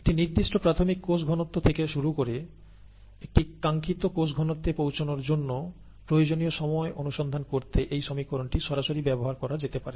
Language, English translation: Bengali, This equation can directly be used to find the time that is needed to reach a desired cell concentration, starting from a certain initial cell concentration